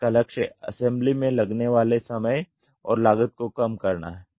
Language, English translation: Hindi, The goal is to reduce the assembly time and cost